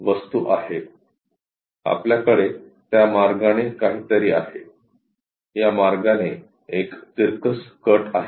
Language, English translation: Marathi, The object is we have something in that way, a incline cut in this way